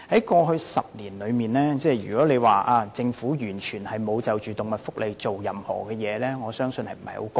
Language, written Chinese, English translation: Cantonese, 過去10年，如果說政府完全沒有就動物福利做任何事，我相信不太公道。, I think it is unfair to say that the Government has not done anything on animal welfare in the past decade